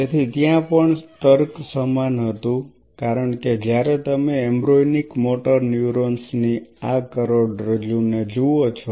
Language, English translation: Gujarati, So, there also the logic was same because when you look at this spinal cord of embryonic motor neurons